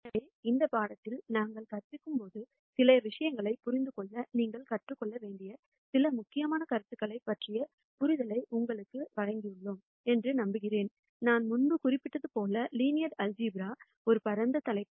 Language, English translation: Tamil, So, I hope that we have given you a reasonable understanding of some of the important concepts that you need to learn to understand some of the material that we are going to teach in this course and as I mentioned before, linear algebra is a vast topic